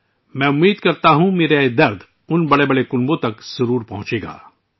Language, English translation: Urdu, I hope this pain of mine will definitely reach those big families